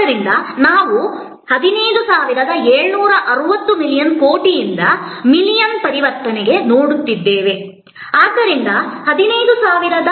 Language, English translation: Kannada, So, that means we are looking at 15760 million crore to million conversion, so 15760 thousand